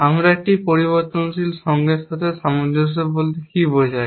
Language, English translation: Bengali, What do we mean by consistence with one variable